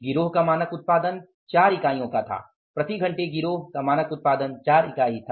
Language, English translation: Hindi, The standard output of the gang was 4 units per hour of the product